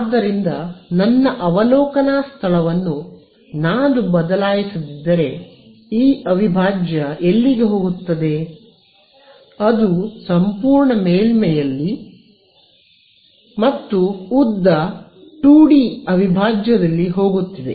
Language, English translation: Kannada, So, if I fix my observation point where is this integral going; it is going over the entire surface and length 2D integral fine